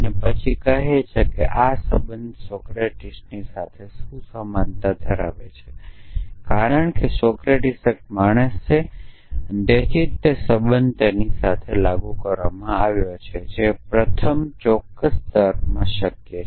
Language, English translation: Gujarati, And then saying that this relation carries a what to Socrates, because Socrates is a man therefore, same relation was applied to him that also mortal that is possible in first certain logic